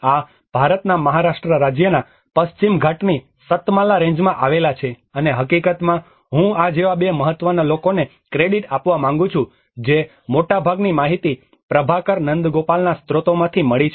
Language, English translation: Gujarati, This is in the Western Ghats in the Satmala range of the Western Ghats in Maharashtra state of India and in fact I want to give a credit of two important people like this is most of the information this has been from the source of Prabhakar Nandagopal